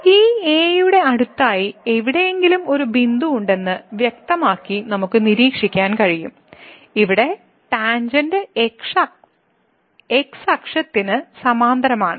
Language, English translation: Malayalam, So, clearly we can observe that there is a point here somewhere next to this , where the tangent is parallel to the